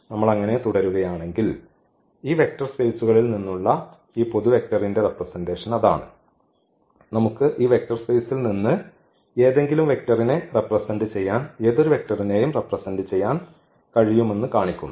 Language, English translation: Malayalam, If we continue this so, that is the representation now of this general vector from this vector spaces and that shows that we can represent any vector from this vector space in terms of these given vectors which are 6 in number